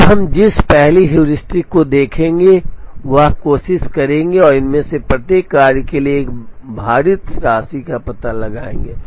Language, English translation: Hindi, Now, the first heuristic that we will look at will try and find out a weighted sum for each of these jobs